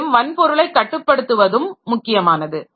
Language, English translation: Tamil, One thing is controlling the hardware